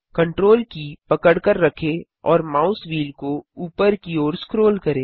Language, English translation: Hindi, Hold Ctrl and scroll the mouse wheel upwards